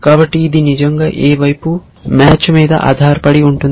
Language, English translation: Telugu, So, it really depends on the match which side